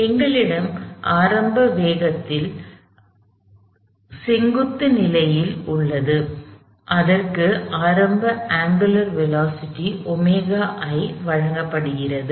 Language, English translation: Tamil, We have the bar initially in a vertical position, it is being given an initial angular velocity omega I